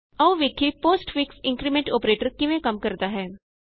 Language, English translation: Punjabi, Lets see how the postfix increment operator works